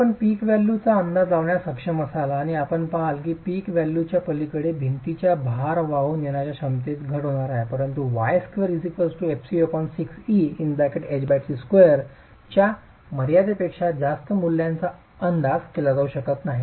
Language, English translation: Marathi, So you will be able to estimate a peak value and you will see that beyond the peak value there is going to be a reduction in the load carrying capacity of the wall but values beyond the limit of y square is equal to fc by 6c into H by t square cannot be estimated